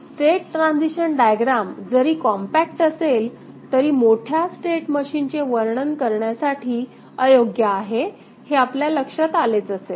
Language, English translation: Marathi, State transition diagram though compact is unsuitable for describing large state machine